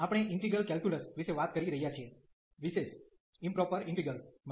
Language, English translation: Gujarati, We are talking about the Integral Calculus in particular Improper Integrals